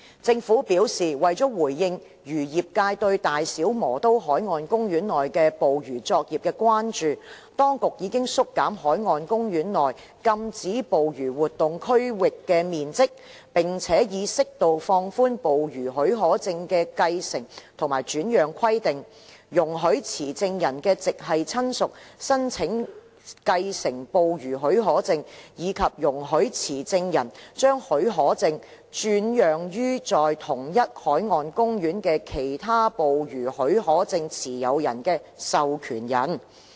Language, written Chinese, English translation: Cantonese, 政府表示，為回應漁業界對大小磨刀海岸公園內捕魚作業的關注，當局已縮減該海岸公園內禁止捕魚活動區域的面積，並且已適度放寬捕魚許可證的繼承和轉讓規定，容許持證人的直系親屬申請繼承捕魚許可證，以及容許持證人將許可證轉讓予在同一海岸公園的其他捕魚許可證持有人的授權人。, The Government says that in response to the fisheries industrys concern over fishing operations within BMP the authorities have already reduced the size of a no - fishing area within BMP and appropriately relaxed the requirements for the succession and transfer of fishing permits thereby allowing permit holders immediate family members to apply for succession to fishing permits and allowing permit holders to transfer the permits to authorized persons of other fishing permit holders in the same marine park